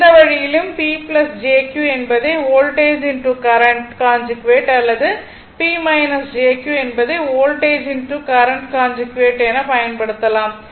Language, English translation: Tamil, Either way you can use right either P plus jQ voltage into current conjugate or P minus jQ is equal to voltage conjugate into current, you will get the same result